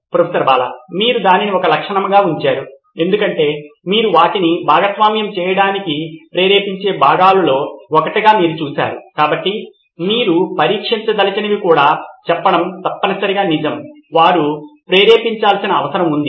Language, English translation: Telugu, You have put that as a feature because that you saw as one of the things that motivate them to share, so and that something that you may want to test also saying is that really true that they do need to motivate